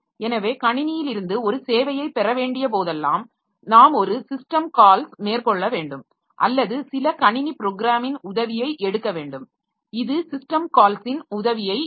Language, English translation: Tamil, So whenever we need to get a service from the system, so we have to make a system call or take help of some system program which in turn takes help of system call